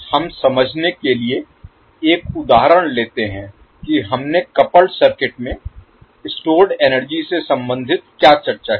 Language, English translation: Hindi, So let us now let us take one example to understand what we discussed related to energy stored in the coupled circuit